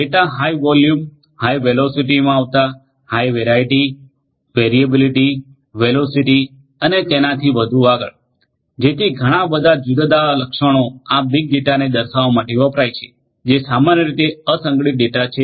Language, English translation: Gujarati, Data having high volume coming in high velocity, having high variety, variability, velocity and so on and so forth, so many different attributes all these different V’s where used to characterize the big data and big data is unstructured typically unstructured data